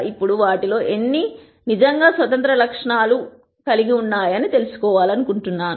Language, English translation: Telugu, Now, I want to know how many of these are really independent attributes